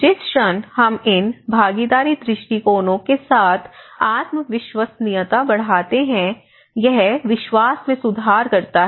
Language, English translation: Hindi, So, the moment we are increasing the self reliability with these participatory approaches that improves the trust